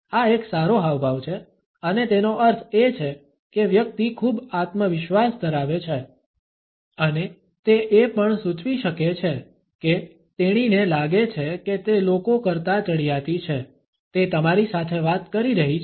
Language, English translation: Gujarati, This is a good gesture and it means that the person is very confident and it can also indicate that, she feels that she is superior to the people, she is talking to you